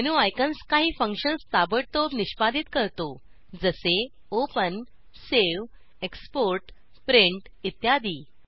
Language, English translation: Marathi, The menu icons execute certain functions quickly for eg open, save, export, print etc